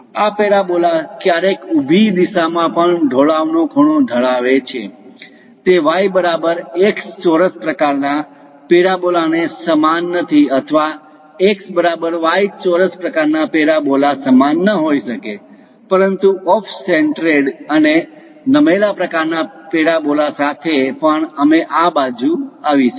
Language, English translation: Gujarati, These parabolas sometimes might be inclined on the vertical direction also; it may not be the y is equal to x square kind of parabolas or x is equal to y square kind of parabolas, but with off centred and tilted kind of parabolas also we will come across